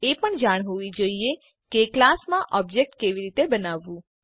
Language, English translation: Gujarati, You must also know how to create an object for the class